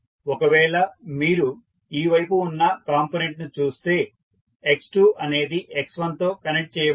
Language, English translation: Telugu, So, if you see the component at this side x2 is connected with x1 how you are connecting